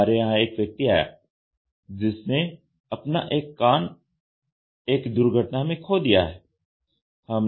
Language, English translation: Hindi, We had a patient who came to us and said that he has lost his ear in an accident